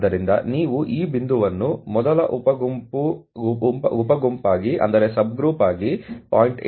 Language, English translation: Kannada, So, you can see this point to be 0